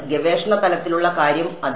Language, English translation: Malayalam, Research level thing yeah